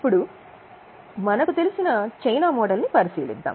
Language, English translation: Telugu, Now we'll go to Chinese model